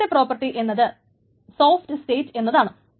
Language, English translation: Malayalam, The second property is called soft state